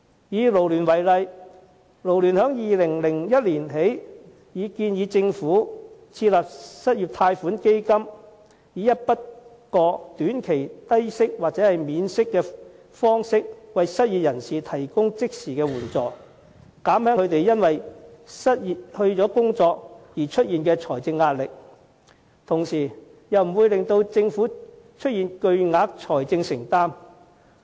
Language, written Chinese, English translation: Cantonese, 以勞聯為例，自2010年起已建議政府設立失業貸款基金，以一筆過短期低息或免息的方式為失業人士提供即時援助，以減輕他們因為失去工作而出現的財政壓力，同時又不會令政府出現巨額財政承擔。, As in the case of FLU we have been suggesting the Government since 2010 to establish an unemployment loan fund to provide immediate assistance in the form of a short - term low - interest lump sum or interest - free lump sum to those who lost their jobs so as to alleviate their financial hardship and at the same time spare the Government from huge financial burden